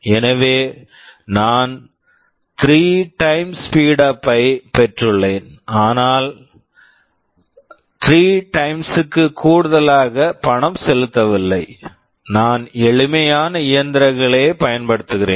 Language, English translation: Tamil, So, I have got a 3 time speed up, but I have not paid 3 times more, I am using simpler machines